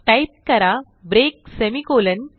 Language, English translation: Marathi, So type break semicolon